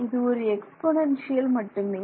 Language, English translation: Tamil, So, its just an exponential right